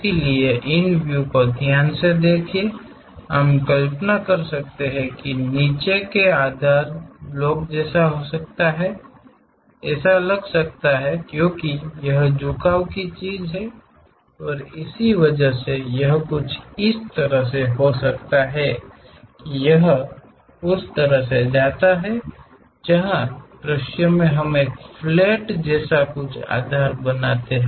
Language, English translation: Hindi, So, by carefully observing these views we can imagine that, may be the block the basement might look like that and because this inclination thing and because of this, it might be something like it goes in that way where the views tell us something like a flat base is there